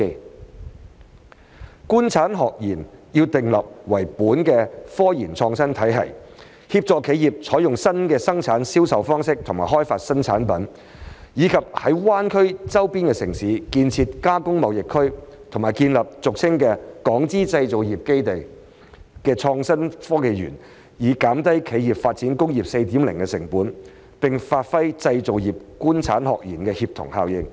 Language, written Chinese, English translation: Cantonese, 訂立以"官產學研"為本的科研創新體系，協助企業採用新的生產銷售方式和開發新產品，以及在灣區周邊城市建設"加工貿易園區"和建立俗稱"港資製造業基地"的創新產業園區，以降低企業發展工業 4.0 的成本，並發揮製造業"官產學研"的協同效應。, We should introduce a research and innovation system based on cooperation among the government industry academia and research institutes with the aims of assisting enterprises in adopting new ways of production and sales and new product development . We should also establish Processing Trade Zones and innovative industrial parks commonly known as Enclaves of Hong Kong - Invested Manufacturing Industry in neighboring cities in the Greater Bay Area so as to reduce the cost of enterprises initiating upgrades towards Industry 4.0 and achieve synergy among the government industry academia and research institutes